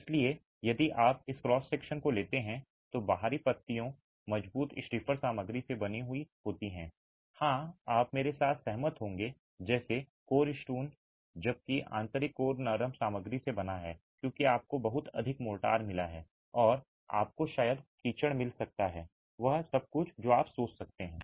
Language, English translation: Hindi, So, if you take this cross section, the outer leaves are made out of stronger, stiffer material, yes, you would agree with me like stone, coarse stone, whereas the inner core is made out of softer material because you have a lot of mortar and you have got probably mud and everything that you can think of